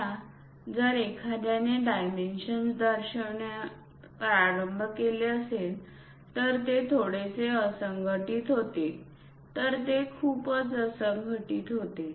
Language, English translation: Marathi, Now, if someone would like to start showing the dimensions it becomes bit clumsy, it becomes very clumsy